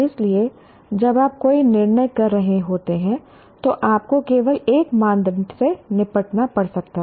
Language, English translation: Hindi, So, one can have, when you are making a judgment, one may have to deal with only one criteria